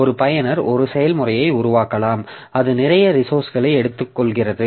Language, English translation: Tamil, So, a user may spawn a process that is using, that is taking lots of resources